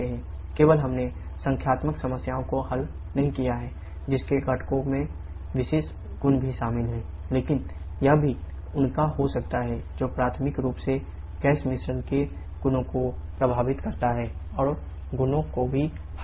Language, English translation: Hindi, Only not solved numerical problems which involve special forces in the components also, but that can also be their which primary affects the properties of the gas mixture and also the properties air